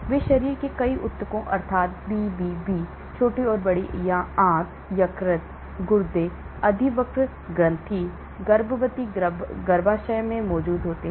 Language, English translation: Hindi, they are present in many tissues of the body namely BBB, small and large intestine, liver, kidney, adrenal gland, pregnant uterus